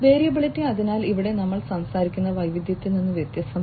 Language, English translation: Malayalam, Variability, so here we are talking about it is different from variety